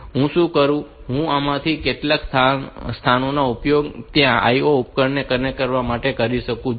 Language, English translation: Gujarati, What I can do, I can use these some of these locations to connect the IO devices there